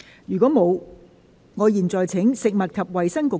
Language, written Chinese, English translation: Cantonese, 如果沒有，我現在請食物及衞生局局長答辯。, If not I now call upon the Secretary for Food and Health to reply